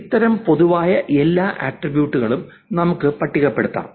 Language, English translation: Malayalam, We can actually list on all common attributes